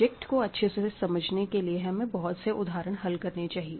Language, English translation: Hindi, So, to learn the subject very well, you have to do lots and lots and of problems